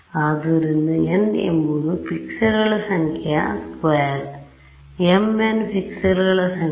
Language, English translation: Kannada, So, n is the square of the number of pixels right m n is the number of pixels